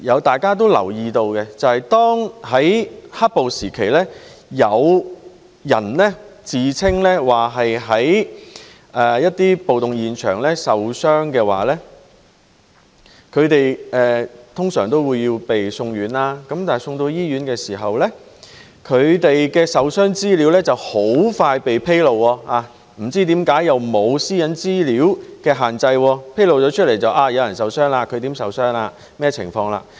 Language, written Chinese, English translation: Cantonese, 大家都留意到，在"黑暴"時期，有人自稱在暴動現場受傷，他們通常會被送院，但送到醫院時，他們的受傷資料很快被披露，不知為何不受個人私隱資料的限制，披露有人受傷、如何受傷及甚麼情況。, We may all notice that during the black - clad violence some people who claimed to have been injured at the riots were sent to the hospital . However information about their injuries was soon disclosed upon arrival at the hospital . I wonder why such information was not subject to the restriction of personal data privacy